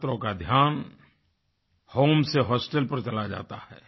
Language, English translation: Hindi, The attention of students steers from home to hostel